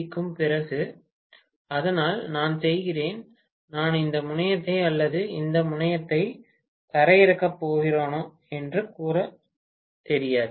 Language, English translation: Tamil, It is after all AC, so I do not even know whether I am going to ground this terminal or this terminal, I do not know